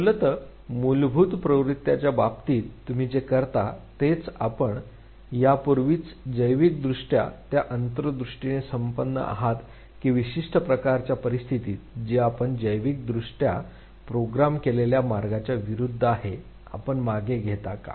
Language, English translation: Marathi, So, what you do in terms of instinctive drift basically is that you are already biologically endowed with that insight that in certain type of situation which basically goes against the way you are biologically programmed you withdraw, why